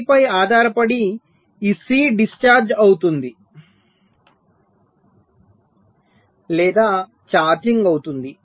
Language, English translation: Telugu, so, depending on that, this c will be either discharging or it will be charging